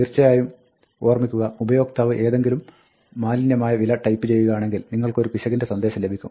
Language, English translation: Malayalam, Now, of course, remember that, if the user types some garbage, then you get an error, right